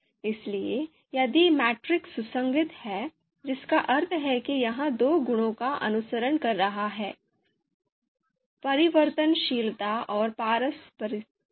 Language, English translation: Hindi, So if the matrix is consistent that means it is following the these two properties: transitivity and reciprocity